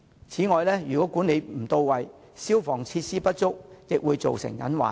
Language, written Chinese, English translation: Cantonese, 此外，如果管理不到位和消防設施不足，也會造成隱患。, Furthermore if the bazaars are mismanaged and fire precautions are inadequate there will be potential risks